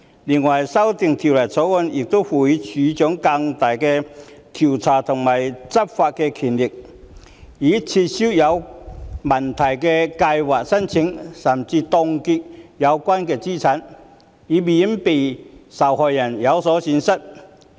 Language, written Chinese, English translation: Cantonese, 此外，修訂《條例草案》亦賦予職業退休計劃註冊處處長更大的調查權和執法權，以撤銷有問題的計劃申請甚至是凍結有關資產，以免受害人有所損失。, Besides the amendments in the Bill also confer greater investigation and law enforcement powers on the Registrar of OR Schemes to cancel the registration of questionable schemes or even freeze the assets concerned so as to protect victims from suffering loss